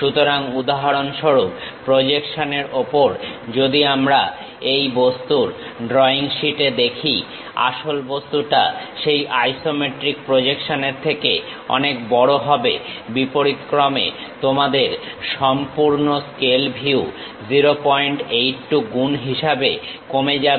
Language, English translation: Bengali, So, for example, on the projection if I am seeing on the drawing sheet of this object; the original object will be much bigger than that isometric projection, vice versa your full scale view will be reduced to 0